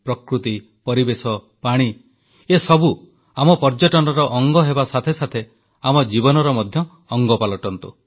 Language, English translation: Odia, Nature, environment, water all these things should not only be part of our tourism they should also be a part of our lives